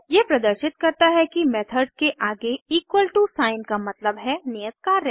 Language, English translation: Hindi, This demonstrates that the equal to sign next to a method means assignment